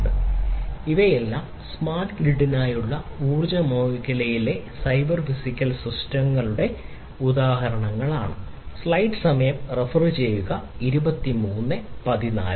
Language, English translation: Malayalam, So, all of these are basically examples of cyber physical systems in the energy sector for smart grid